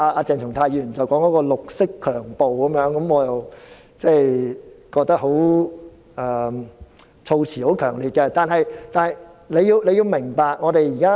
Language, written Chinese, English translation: Cantonese, 鄭松泰議員說是"綠色強暴"，我覺得措辭很強烈，但請你明白我們的憂慮。, Dr CHENG Chung - tai said that this is green rape which I think is strong wording but I hope you will appreciate our concern